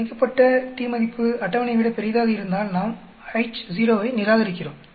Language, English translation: Tamil, If t calculated is grater than the table we reject H0